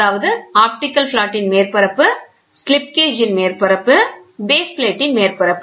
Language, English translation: Tamil, Namely the surface of the optical flat, the upper surface of the slip gauge, the surface of the base plate